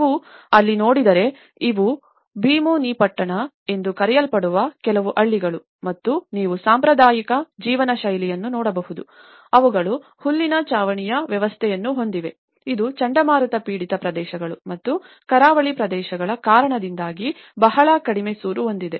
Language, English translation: Kannada, If you look there is, these are some of the villages called Bheemunipatnam and you can see the traditional patterns of living, they have the thatched roof systems, which have a very low eaves because of the cyclone affected areas and the coastal areas